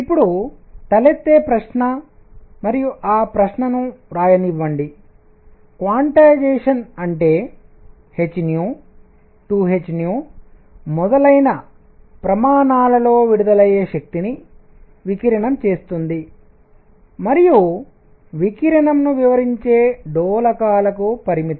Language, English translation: Telugu, Now the question that arises and let me write that question is quantization; that means, energy coming in units of h nu 2 h nu and so on limited to oscillators that radiate and radiation explain